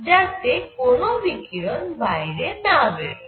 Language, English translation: Bengali, So, that the radiation does not go out